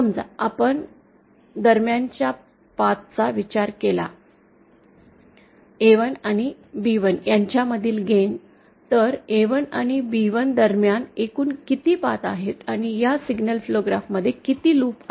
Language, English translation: Marathi, Suppose we consider the path between, the gain between A1 and B1, then how many paths are there between A1 and B1 and how many loops are there in this signal flow graph